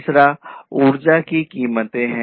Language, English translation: Hindi, The second, the third one is the energy prices